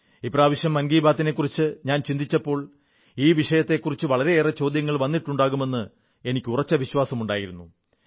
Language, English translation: Malayalam, This time when I was thinking about 'Mann ki Baat', I was sure that a lot of questions would crop up about this subject and that's what exactly happened